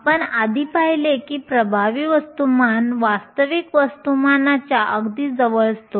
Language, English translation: Marathi, We saw earlier that the effective mass is very close to the real mass